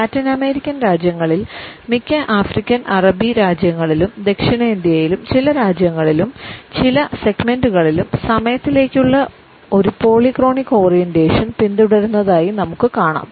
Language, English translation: Malayalam, In Latin American countries, in most of the African and Arabic countries as well as in some countries and certain segments in South Asia we find that a polychronic orientation towards time is followed